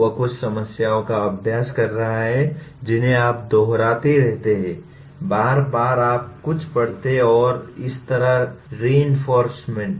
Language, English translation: Hindi, That is practicing some problems you keep on repeating, repeatedly you read something and similarly “reinforcement”